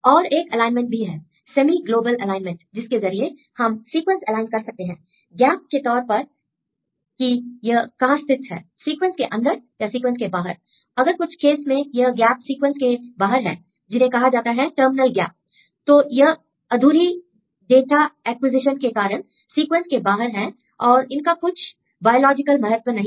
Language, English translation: Hindi, And also another alignment called semi global alignment this will tell you how we can align the different sequences with respect to gaps, internal or the outside; some case if you see the gaps outside these terminal gaps are usually result of incompleted data acquisition and may not have any biological significance in this case; you can remove these gaps